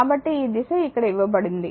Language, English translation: Telugu, So, it is this direction is given here